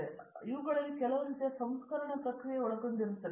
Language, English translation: Kannada, So, all these involve some kind of a refining process